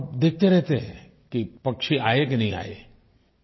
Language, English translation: Hindi, And also watch if the birds came or not